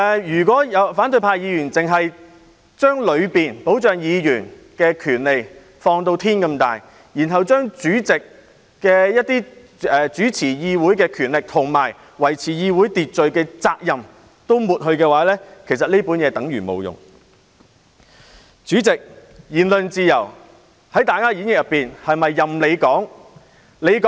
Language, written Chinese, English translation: Cantonese, 如果反對派議員只把當中保障議員的權利放至無限大，然後把主席主持議會的權力及維持議會秩序的責任都抹去，其實《議事規則》便等於沒有作用。, If Members from the opposition camp only exaggerate the protection of the rights of Members without bounds but then blot out the power of the President in chairing the Council and his responsibility in maintaining order in the legislature RoP would become useless